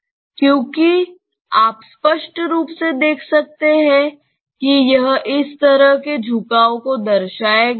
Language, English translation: Hindi, 1; because you can clearly see that this will represent a kind of tilt like this